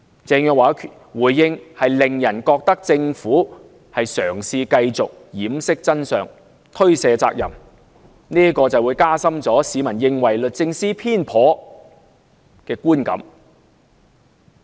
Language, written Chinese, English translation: Cantonese, 鄭若驊的回應，令人覺得政府嘗試繼續掩飾真相，推卸責任，加深市民認為律政司偏頗的觀感。, The response made by Teresa CHENG suggests that the Government is trying to keep them in the dark and to shirk its responsibilities hence reinforcing the public belief that DoJ is biased